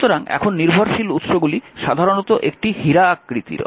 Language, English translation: Bengali, So, now dependent sources are usually these dependent sources are usually a diamond shape